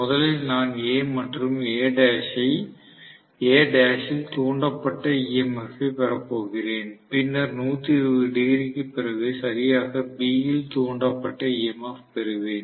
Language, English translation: Tamil, First, I am going to have induced EMF in A and A dash, then after 120 degrees because exactly B phase winding is displaced by 120 degrees, I am going to have induced EMF in B